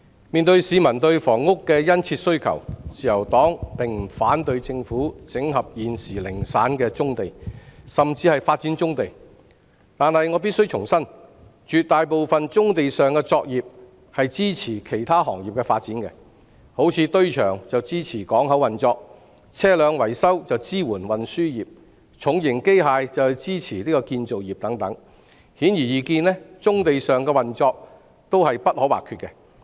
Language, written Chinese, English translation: Cantonese, 面對市民對房屋的殷切需求，自由黨並不反對政府整合現時零散的棕地，甚至發展棕地，但我必須重申，絕大部分棕地上的作業須是用於支持其他行業的發展，例如堆場是支持港口運作、車輛維修是支援運輸業、重型機械則是支持建造業等；顯而易見，棕地上的運作均是不可或缺的。, In the face of keen demand for housing from the public the Liberal Party does not object to the Governments proposal of integrating scattered brownfield sites and even developing these sites . However I have to reiterate that the operations on brownfield sites must mostly support the development of other industries . For instance container depots are for supporting harbour operation vehicle repairs are for supporting the transport industry while heavy machinery is for supporting the construction industry